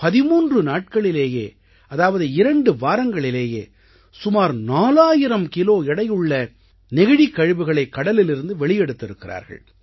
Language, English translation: Tamil, And I am told that just within 13 days ie 2 weeks, they have removed more than 4000kg of plastic waste from the sea